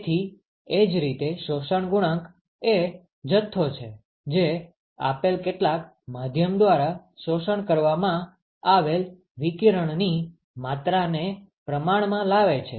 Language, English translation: Gujarati, So, similarly absorption coefficient is the quantity, which quantifies the amount of radiation that is absorbed by a given some given medium